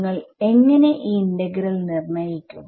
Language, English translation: Malayalam, How would you calculate this integral